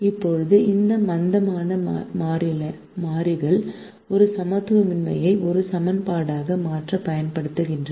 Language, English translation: Tamil, now these slack variables are used to convert an inequality into an equation